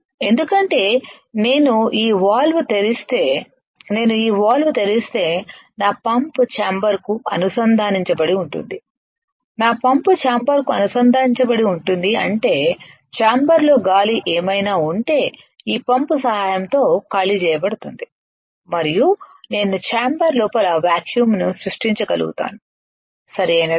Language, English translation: Telugu, Because if I open this valve if I open this valve then my pump is connected to the chamber, my pump is connected to the chamber and; that means, whatever the air is there in the chamber will get evacuated with the help of this pump and I will be able to create a vacuum inside the chamber, right